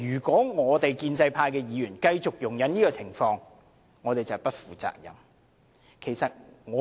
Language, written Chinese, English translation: Cantonese, 建制派議員如果繼續容忍這種情況，就是不負責任。, If pro - establishment Members still condone such a situation they are acting irresponsibly